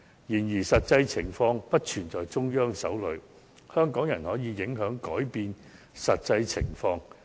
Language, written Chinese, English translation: Cantonese, 然而，實際情況並不完全掌握在中央手裏，香港人亦可影響、改變實際情況。, That said rather than having the Central Authorities entirely controlling the actual situation Hong Kong people can also influence and change the actual situation